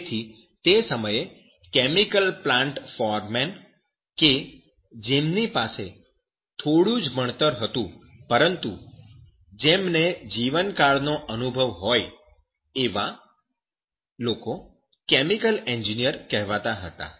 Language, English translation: Gujarati, So at that time, a chemical plant foreman with a lifetime of experience but little education regarded as a chemical engineer